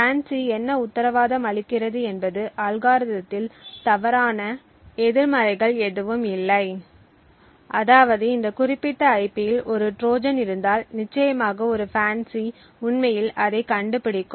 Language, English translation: Tamil, What the FANCI guarantees is that the algorithm has no false negatives that is if a Trojan is present in this particular IP then definitely a FANCI would actually detect it